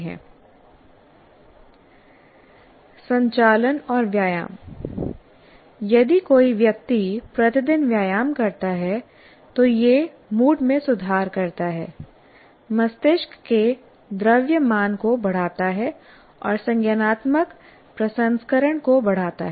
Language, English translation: Hindi, And movement and exercise, that is if a person continuously exercises every day, it improves the mood, increases the brain mass and enhance cognitive processing